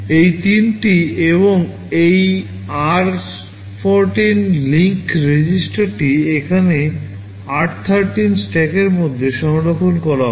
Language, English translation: Bengali, These three and also this r14 link register are stored in r13 stack here